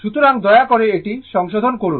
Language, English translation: Bengali, So, please I am rectifying it